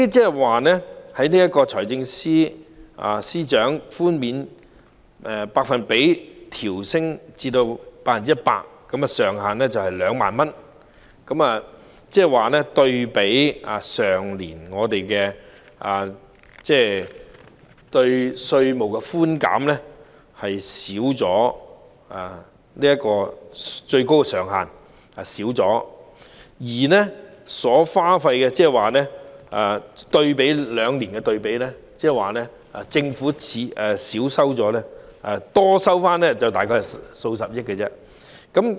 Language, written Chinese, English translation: Cantonese, 現時，財政司司長將寬免百比分調高至 100%， 上限仍為2萬元，可見與去年的稅務寬減措施對比，最高上限有所減少，而以這兩年作對比，政府只多收回大概數十億元而已。, The Financial Secretary now proposes to increase the concession rate to 100 % while retaining the ceiling of 20,000 per case . Compared with the tax concessionary measure last year we notice that the ceiling is lowered this year . A comparison between these years indicates that the Government will only receive about a few billion dollars more in tax revenue